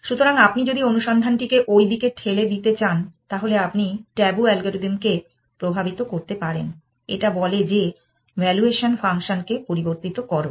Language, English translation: Bengali, So, if you want to push the search into that direction, you can bios the tabu algorithm by sayings that modify your valuation function